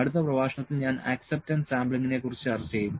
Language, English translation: Malayalam, Then in the next lecture I will discuss about the acceptance sampling here